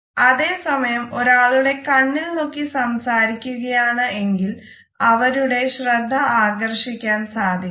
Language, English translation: Malayalam, At the same time if we look into the eyes of the people and try to hold a dialogue, then we are also able to hold their attention